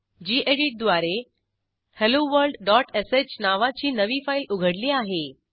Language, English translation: Marathi, We have opened a new file named hello world.sh using gedit